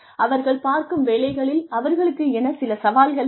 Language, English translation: Tamil, They also need some challenge in their jobs